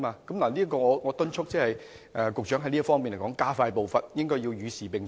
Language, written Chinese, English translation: Cantonese, 我在此敦促局長在這方面加快步伐，與時並進。, I urge the Secretary to speed up efforts to keep abreast of the times in this regard